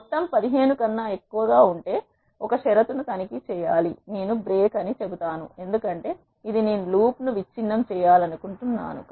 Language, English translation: Telugu, And I have to check a condition if the sum is greater than 15 I will say break because this is the condition which I want to break the loop